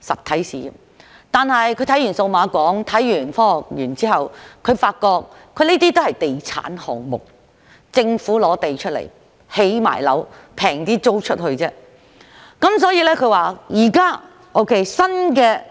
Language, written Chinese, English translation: Cantonese, 可是，當他看到數碼港和香港科學園後，他發現這些也是地產項目，只是由政府提供土地和興建，再以較便宜的價錢出租。, However when he saw the Cyberport and the Hong Kong Science Park he found out that they were also real estate projects with only the land provided and buildings constructed by the Government and the units were then rented out at a cheaper price